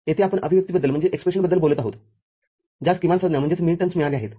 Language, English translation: Marathi, Here, we are talking about expression that has got minterms